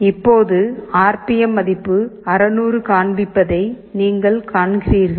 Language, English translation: Tamil, And now, you see the RPM value displayed is showing 600